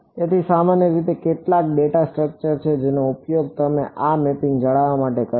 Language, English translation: Gujarati, So, typically there is some data structure that you will use to maintain this mapping